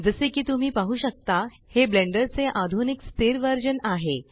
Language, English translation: Marathi, As you can see, this is the latest stable version of Blender